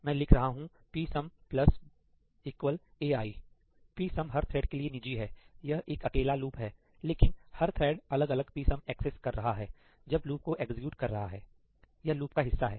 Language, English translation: Hindi, I am writing this psum plus equal to ai; psum is private to each thread; this is a single loop, but each thread is accessing a different psum when it’s executing this loop, its part of the loop